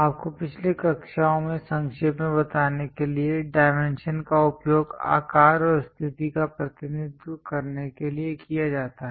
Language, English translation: Hindi, To briefly summarize you from the last classes, dimension is used to represent size and position